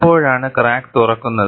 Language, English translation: Malayalam, And, how does the crack open